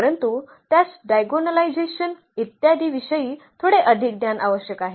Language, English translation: Marathi, But, it is it requires little more knowledge of a diagonalization etcetera